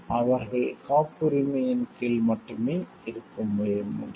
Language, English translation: Tamil, They can be only covered under patents